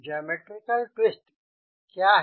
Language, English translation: Hindi, right, that is geometric twist